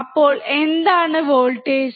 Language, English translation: Malayalam, So, what is the voltage